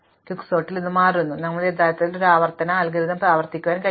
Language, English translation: Malayalam, Now, it turns out in Quicksort you can actually manually make the recursive algorithm iterative